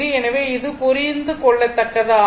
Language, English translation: Tamil, So, this is understandable